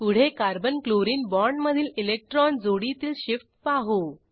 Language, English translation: Marathi, Next, I will show an electron pair shift in the Carbon Chlorine bond